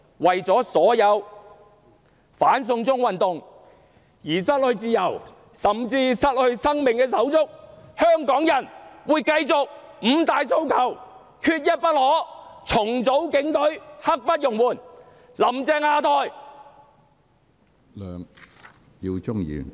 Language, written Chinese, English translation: Cantonese, 為了所有因"反送中"運動而失去自由，甚至失去生命的手足，香港人會繼續高呼："五大訴求，缺一不可"；"重組警隊，刻不容緩"；"'林鄭'下台！, For the sake of all the brothers and sisters who have lost their freedom and even their lives fighting for the cause of the anti - extradition to China movement Hongkongers will keep chanting aloud Five demands not one less! . ; Restructure the Police Force now! . ; Down with Carrie LAM!